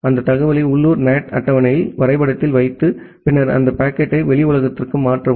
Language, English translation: Tamil, Put that information to the local NAT table to the map and then transfer that packet to the outside world